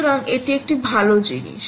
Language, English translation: Bengali, so thats a good thing